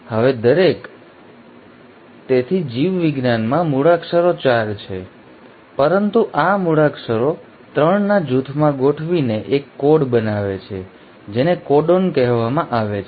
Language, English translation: Gujarati, Now each, so in biology the alphabets are 4, but these alphabets arrange in groups of 3 to form a code which is called as the “codon”